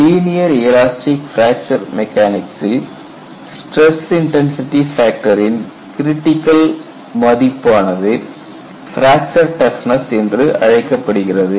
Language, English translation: Tamil, So, what we have done in linear elastic fracture mechanics we would have a critical value of the stress intensity factor, we called it as fracture toughness